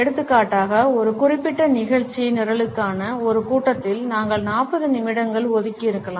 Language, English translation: Tamil, For example, in a meeting for a particular agenda item we might have allocated 40 minutes